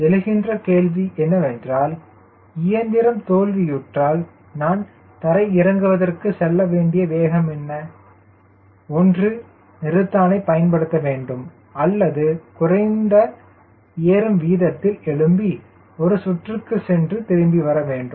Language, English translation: Tamil, so then the question is: what is that speed at which, if the engine fails, i should rather apply break or i continue, take off with a lower rate of climb, go for a circuit and come back